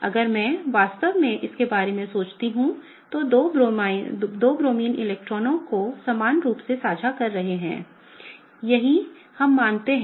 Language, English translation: Hindi, If I really think about it, the two Bromines are sharing the electrons equally right; that is what we assume